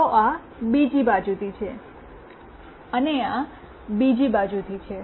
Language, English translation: Gujarati, So, this is from the other side and this is from the other one